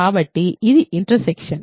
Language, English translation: Telugu, So, then that is the intersection